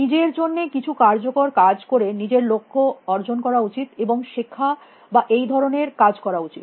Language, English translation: Bengali, Do something useful for itself and achieve its goals and you know learn and that kind of stuff